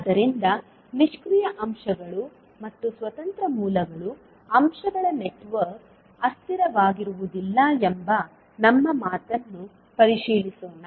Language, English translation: Kannada, So let us verify our saying that the passive elements and independent sources, elements network will not be unstable